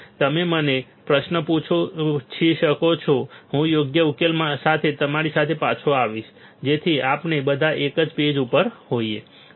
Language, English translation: Gujarati, So, you can ask me query I will get back to you with a proper solution so that we are all on same page